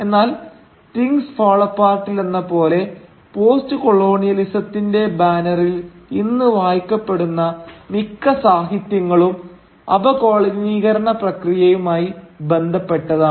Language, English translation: Malayalam, But as Things Fall Apart exemplifies, much of the literature that is today read under the banner of postcolonialism concerns itself with the process of decolonisation